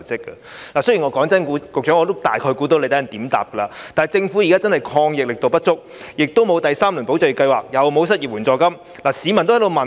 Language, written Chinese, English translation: Cantonese, 坦白說，我大概猜到局長稍後會怎樣回答我，但政府現時的抗疫力度確實不足，既沒有第三輪"保就業"計劃，又沒有失業援助金。, Frankly speaking I can probably guess how the Secretary will reply to my question later but the Governments anti - epidemic efforts are really inadequate . It has neither introduced a third tranche of ESS nor provided any unemployment benefits